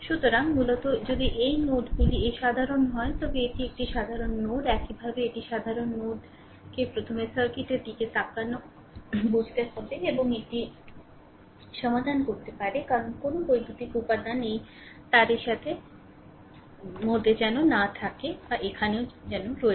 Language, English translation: Bengali, So, basically if these nodes are common this 2 are it is a common node, similarly these is common node little bit you have to first understand looking at the circuit and the you can solve it because no electrical element is involve between in this wire and here also right